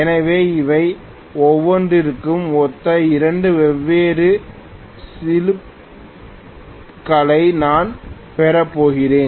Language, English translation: Tamil, So I am going to have 2 different slips corresponding to each of them